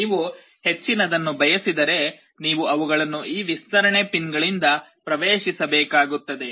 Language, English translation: Kannada, If you want more you will have to access them from these extension pins